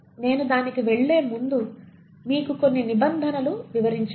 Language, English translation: Telugu, But before I get to that, I need to explain you a few terms